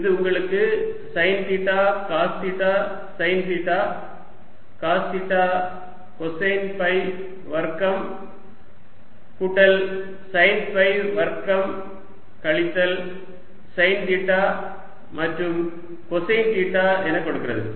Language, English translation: Tamil, this gives you sine theta, cos theta, sine theta, cos theta, cosine square phi plus sine square phi, minus sine theta and cosine of theta